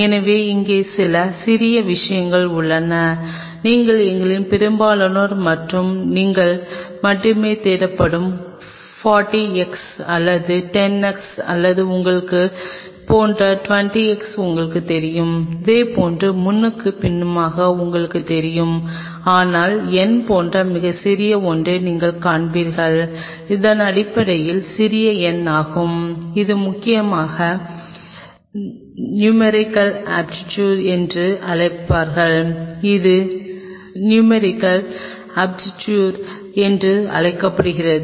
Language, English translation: Tamil, So, out here there is some small things which most of us and you only look for it is written 40 x or 10 a x or you know 20 a x like you know likewise so and so forth, but that you will see something very small written like n, which is essentially small n which is essentially call the numerical aperture is called numerical aperture